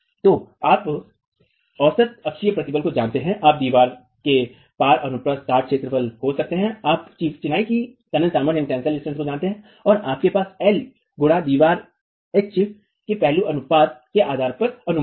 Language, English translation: Hindi, So, you know the average axial stress, you know the area of cross section of the wall, you know the tensile strength of masonry and you have an estimate based on the aspect ratio of the wall H